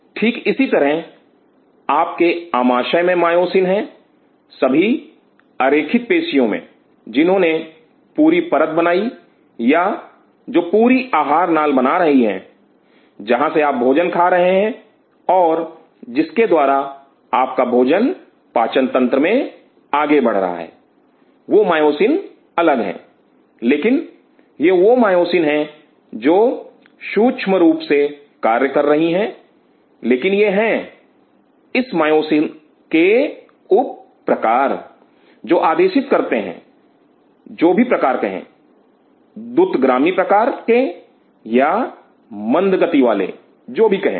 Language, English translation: Hindi, Similarly, there are myosin’s in your gut the whole smooth muscles which is lining the hole or which is forming in the hole alimentary canal, where you are eating the food and the food is moving through a moment across the digestive system, those myosin’s are different, but it is that myosin critically acting does play a role, but it is this myosin sub types, which dictates say type whatever fast type slow type whatever